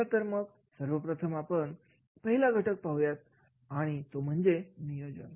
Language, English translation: Marathi, Let me take the first factor and that is a planning